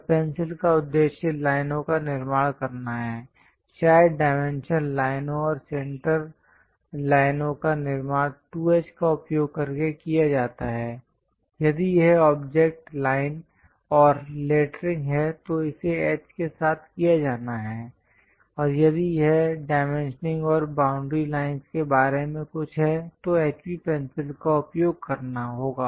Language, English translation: Hindi, And purpose of the pencil to construct lines, perhaps dimension lines and center lines constructed using 2H; if it is object lines and lettering, it has to be done with H and if it is something about dimensioning and boundary lines, one has to use HB pencil